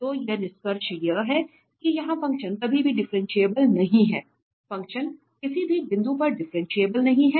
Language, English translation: Hindi, So, here the conclusion is that this function is nowhere differentiable, the function is not differentiable at any point